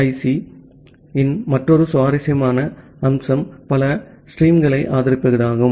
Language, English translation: Tamil, Another interesting feature of QUIC is to support multi streaming